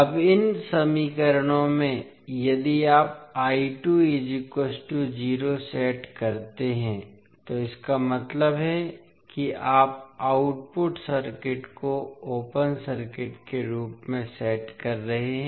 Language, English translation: Hindi, Now in these equations, if you set I 2 is equal to 0 that means you are setting output port as open circuit